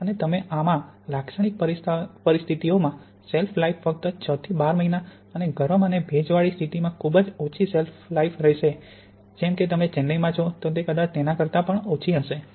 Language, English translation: Gujarati, In typical conditions the shelf life will be only about six to twelve months and in hot humid conditions such as you have here in Chennai it will probably be quite a lot shorter than that